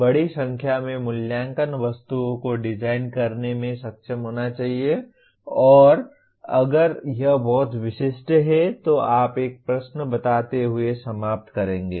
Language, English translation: Hindi, Should be able to design a large number of assessment items and if it is too specific you will end up stating one question